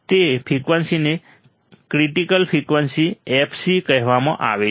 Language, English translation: Gujarati, That frequency is called critical frequency fc